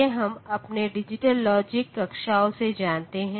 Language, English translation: Hindi, So, these we know from our digital logic classes